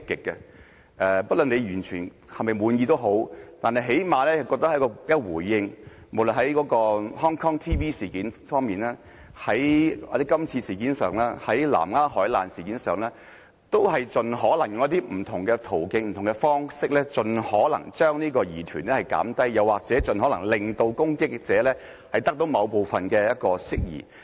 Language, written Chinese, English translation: Cantonese, 不論大家是否完全滿意，但最少政府也有回應，無論在香港電視網絡事件上、今次的事件上、南丫海難事件上，都以不同的途徑和方式，盡可能把疑團縮小，又或盡可能令攻擊者部分釋疑。, Disregarding whether we were totally satisfied the Government at least gave some response in each case―the incident of the Hong Kong Television Network Limited HKTV this incident and the vessel collision near Lamma Island . Through various channels and ways it has tried to minimize our queries or tried to clear part of the doubts of those who would criticize it